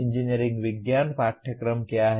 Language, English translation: Hindi, What are the engineering science courses